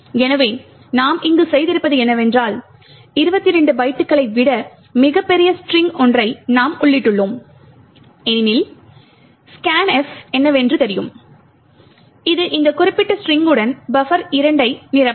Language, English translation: Tamil, So, what we have done here is we have entered a very large string much larger than 22 bytes as you know what is scanf does is that it would fill the buffer 2 with this particular string